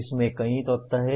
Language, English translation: Hindi, There are several elements into this